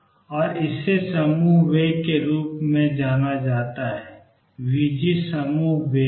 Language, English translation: Hindi, And this is known as the group velocity, v g is the group velocity